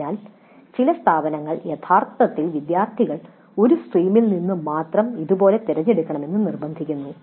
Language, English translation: Malayalam, So some institutes actually insist that students must selectives like this in a stream only